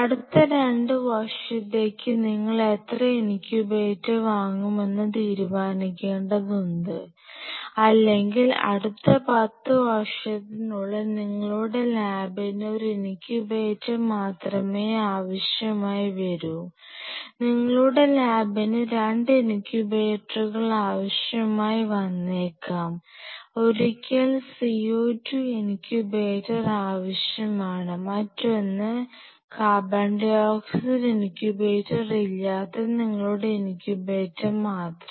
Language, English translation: Malayalam, Now, we have to decide that how many incubators you will buying say for next 2 years or in next 10 years your lam may need only one incubator, your lam may need 2 incubators you may need once co 2 incubators, another without co 2 incubator just your incubator